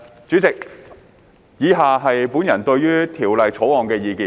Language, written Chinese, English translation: Cantonese, 主席，以下是本人對《條例草案》的意見。, President the following are my personal views on the Bill